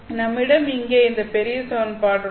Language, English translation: Tamil, So, we had this big equation that we wrote here